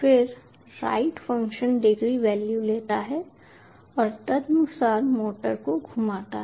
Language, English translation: Hindi, then the write function takes the degree values and rotates the motor accordingly